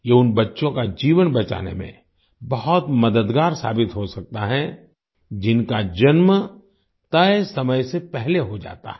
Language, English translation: Hindi, This can prove to be very helpful in saving the lives of babies who are born prematurely